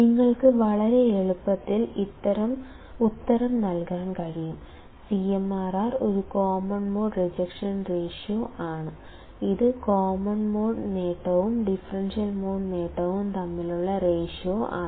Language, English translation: Malayalam, That you can you can answer very easily, the CMRR is a common mode rejection ration and it is given by differential gain by common mode gain